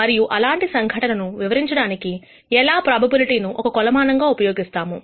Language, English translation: Telugu, And how probability can be used as a measure for describing such phenomena